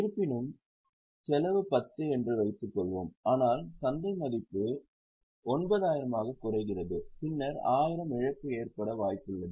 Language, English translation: Tamil, However, suppose the cost is 10 but market value falls to 9,000, then there is a possibility of loss of 1,000